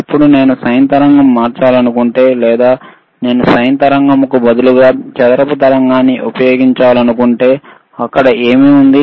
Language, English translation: Telugu, Now if I want to convert this sine wave, or if I want to apply a square wave instead of sine wave, then what is there